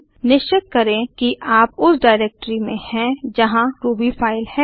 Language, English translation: Hindi, Make sure that you are in the directory where your Ruby file is present